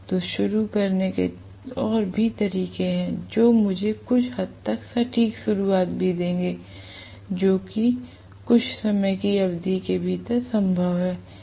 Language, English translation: Hindi, So there are more methods of starting which will also give me somewhat accurate starting that is possible within certain duration of time and so on